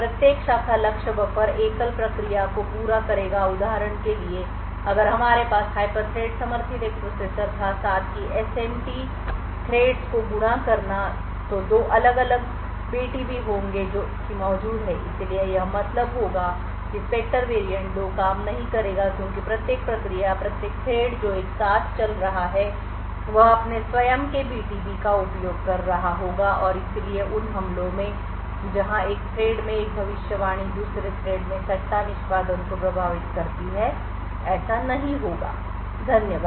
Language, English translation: Hindi, Each branch target buffer would cater to single process so for example if we had a processer with hyperthread supported, Simultaneously Multithreading SMT threads then that would be two separate BTBs that are present so this would imply that the Spectre variant 2 will not work because each process or each thread which is running simultaneously would be using its own BTB and therefore the attacks where one prediction in one thread affecting speculative execution in another thread will not happen, thank you